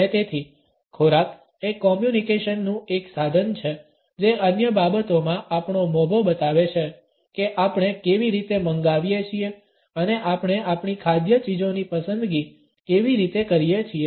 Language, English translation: Gujarati, And therefore, food is a means of communication which among other things can also convey the status we want to communicate our attitude towards other people by the manner in which we order and we select our food items